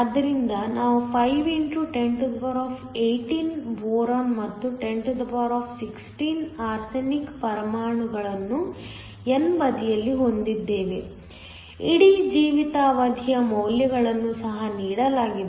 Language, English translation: Kannada, So, we have 5 x 1018 boron and 1016 arsenic atoms on the n side the whole life time values are also given